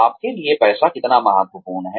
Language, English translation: Hindi, How important is money to you